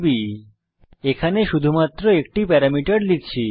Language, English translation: Bengali, And here we are passing only one parameter